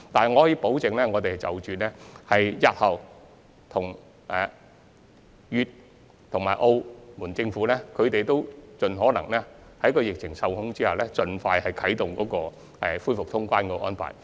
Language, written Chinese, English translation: Cantonese, 我可以保證，我們日後會繼續與粵、澳政府溝通，盡可能在疫情受控的情況下，盡快恢復通關安排。, I can assure Members that we will maintain communication with the governments of Guangdong and Macao in the future so that the boundary control points can be reopened as soon as possible once the epidemic is under control